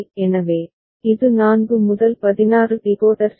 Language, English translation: Tamil, So, this is a 4 to 16 decoder right